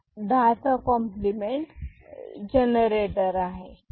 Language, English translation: Marathi, So, this is the 10’s complement generator